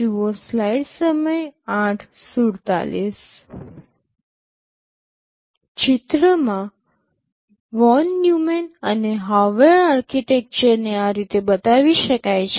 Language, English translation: Gujarati, Pictorially Von Neumann and Harvard architectures can be shown like this